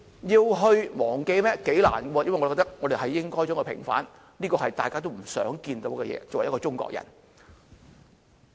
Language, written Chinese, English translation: Cantonese, 頗困難，我覺得應該要平反，這是大家作為中國人都想看到的事情。, It is quite difficult . I think it should be vindicated . It is what we all long to see as Chinese